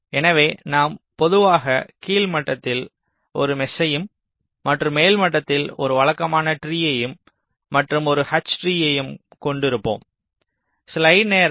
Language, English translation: Tamil, so we normally have a mesh in the lower level and a regular tree at the upper level and then a h tree, usually ok, fine